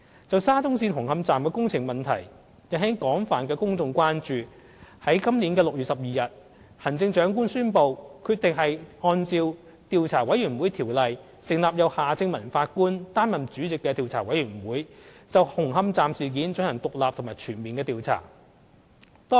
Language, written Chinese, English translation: Cantonese, 就沙中線紅磡站的工程問題引起廣泛的公眾關注，在今年6月12日，行政長官宣布決定按照《調查委員會條例》，成立由夏正民法官擔任主席的調查委員會，就紅磡站事件進行獨立及全面的調查。, As the works incident at the Hung Hom Station Extension under the SCL Project has aroused wide public concerns the Chief Executive announced on 12 June this year that the Government appointed Judge Michael HARTMANN as Chairman and Commissioner of a Commission of Inquiry under the Commissions of Inquiry Ordinance Cap